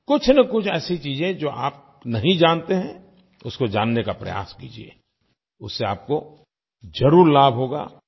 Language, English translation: Hindi, Try to know about things about which you have no prior knowledge, it will definitely benefit you